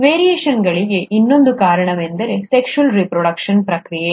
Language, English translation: Kannada, The other reason for the variations has been the process of sexual reproduction